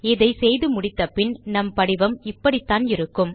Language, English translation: Tamil, And once we are done with our design, this is how our form will look like